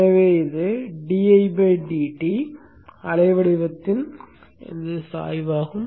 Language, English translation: Tamil, So I am going to place this waveform here